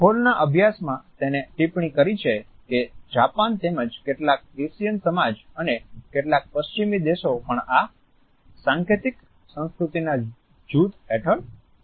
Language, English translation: Gujarati, In Hall’s studies he has commented that Japan as well as several Asian societies and certain Western countries are also under this group of symbolic cultures